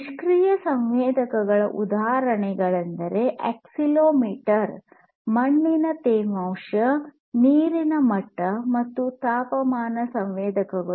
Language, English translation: Kannada, So, examples of passive sensors are accelerometer, soil moisture, water level, temperature sensor, and so on